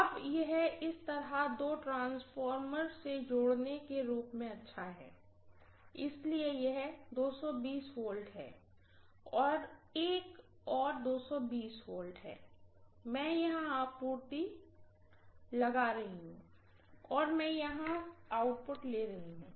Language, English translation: Hindi, Now it is as good as connecting to two transformers like this, so this is 220 V, this is another 220 V, I am applying the supply here, and I am taking the output here, I hope you understand